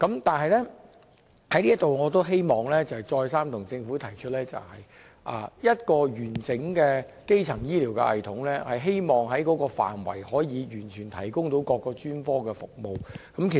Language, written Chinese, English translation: Cantonese, 但是，我希望在這裏再三向政府提出，一個完整的基層醫療系統，是能完全提供各種專科服務。, However I want to tell the Government again that under a comprehensive primary health care system various specialist services can be provided